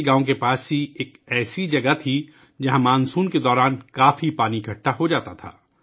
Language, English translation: Urdu, There was a place near the village where a lot of water used to accumulate during monsoon